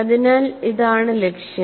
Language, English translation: Malayalam, So, this is the key aspect